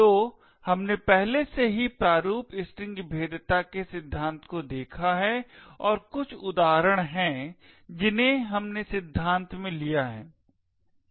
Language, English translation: Hindi, So we have already looked at the theory of format strings vulnerabilities and there are some examples, which we are taken in the theory